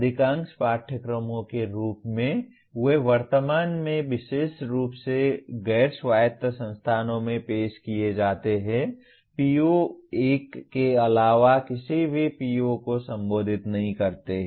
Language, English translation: Hindi, Majority of the courses as they are offered at present particularly non autonomous institutions do not address any PO other than PO1